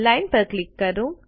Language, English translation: Gujarati, Click on Line